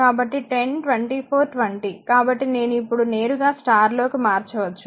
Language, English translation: Telugu, So, 10 24 20; so, you have to convert it to star right